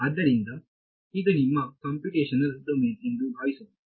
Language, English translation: Kannada, So, supposing this is your computational domain right